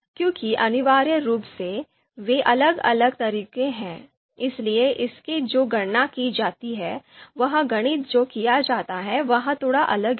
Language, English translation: Hindi, Because essentially they are different methods, so therefore the computations that are performed the mathematics that is done which is slightly different